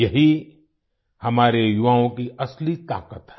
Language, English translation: Hindi, This is the real strength of our youth